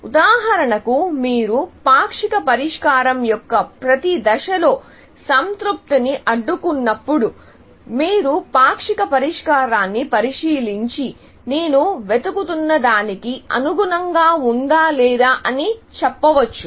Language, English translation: Telugu, For example, when you do constrain satisfaction, then at each stage of the partial solution, you can inspect the partial solution and say, is this consistent with what I am looking for or not; but we will not get into that at this moment